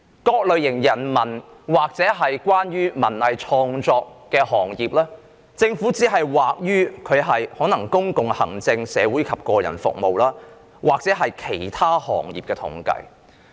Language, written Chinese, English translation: Cantonese, 對於人文或文藝創作行業，政府可能只是在統計中將他們歸類為"公共行政、社會及個人服務"或"其他行業"。, Humanities or artistic industries might have been classified as Public administration social and personal services or Other industries in the government statistics